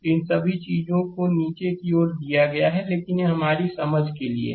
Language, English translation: Hindi, Every all these things are given downwards, but this is for your understanding